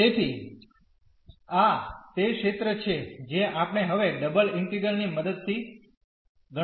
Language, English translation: Gujarati, So, this is the area we are going to compute now with the help of double integral